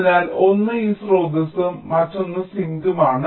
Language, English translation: Malayalam, so one is this source and other is the sink